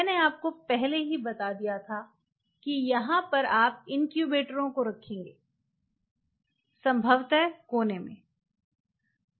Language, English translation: Hindi, So, I have already told you that this is where you will be placing the incubators formed in the corners